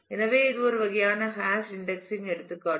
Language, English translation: Tamil, So, this is kind of hash indexing example